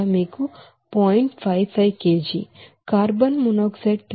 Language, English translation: Telugu, 55 kg, carbon monoxide 3